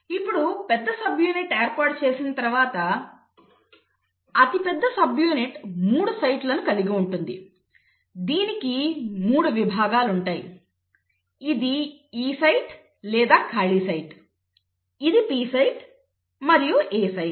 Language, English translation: Telugu, Now once the large subunit arranges the largest subunit has 3 sites, it has 3 sections; it has a section which is called as the E site or the “empty site”, the P site and the A site